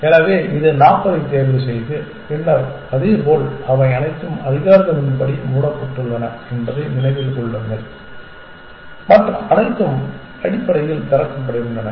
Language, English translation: Tamil, So, which choose 40 and then likewise remember that all these are closed according to the algorithm and everything else is opened essentially